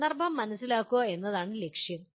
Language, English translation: Malayalam, The goal is to understand the context